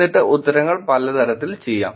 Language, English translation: Malayalam, And then answers could be done in many ways